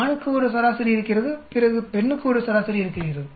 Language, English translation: Tamil, There is an average for male then there is an average for female